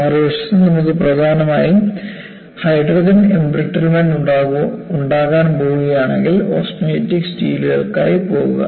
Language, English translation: Malayalam, On the other hand, if you are going to have predominantly hydrogen embrittlement, go for austenitic steels